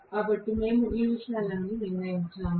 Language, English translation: Telugu, So, we have determined all these things, right